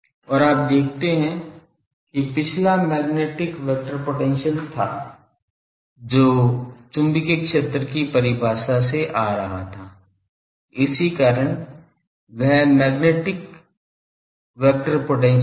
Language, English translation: Hindi, And you see the previous one was magnetic vector potential the magnetic was coming from this because this definition was coming from magnetic field definition, that is why magnetic vector potential